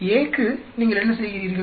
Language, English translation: Tamil, For A, What do you do